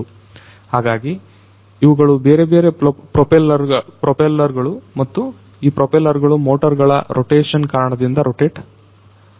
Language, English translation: Kannada, So, these are these different propellers and these propellers they rotate by virtue of the rotation of the motors